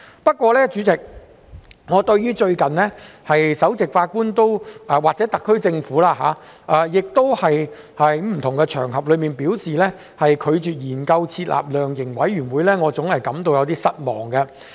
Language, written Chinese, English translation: Cantonese, 不過，代理主席，我對首席法官或特區政府最近在不同的場合上，表示拒絕研究設立量刑委員會，我總感到有點失望。, Nevertheless Deputy President I am disappointed by the recent remarks made by the Chief Justice or officials of the SAR Government on various occasions that they would not consider setting up a sentencing commission or council